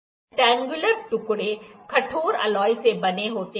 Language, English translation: Hindi, Rectangular pieces actually, which are made up of the hardened alloy